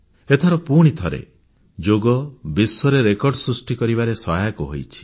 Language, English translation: Odia, Yoga has created a world record again this time also